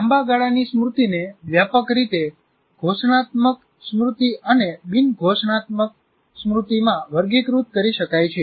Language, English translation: Gujarati, Now here, the long term memory can be broadly classified into declarative memory and non declarative memory